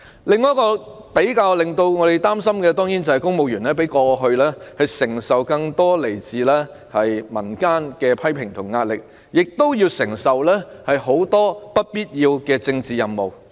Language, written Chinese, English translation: Cantonese, 教我們更感憂慮的另一個問題，是公務員與過去相比承受更多來自民間的批評和壓力，又要承擔眾多不必要的政治任務。, Another issue that is even more worrying to us is that civil servants have faced more criticisms and pressure from the community when compared to the past and they are made to undertake various unnecessary political tasks